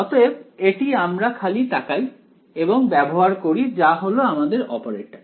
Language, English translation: Bengali, So, this we just look up and use it that is the operator right